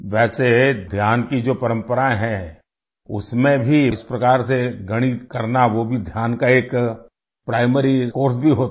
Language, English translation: Hindi, Even in the tradition of dhyan, doing mathematics in this way is also a primary course of meditation